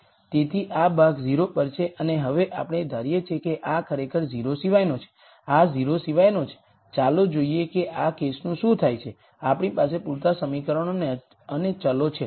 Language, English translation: Gujarati, So, this term goes to 0 and now let us assume actually this is nonzero, this is nonzero, let us see what happens to that case do we have enough equations and variables